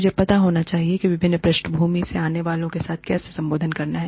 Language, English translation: Hindi, I have to know, how to address people, coming from different backgrounds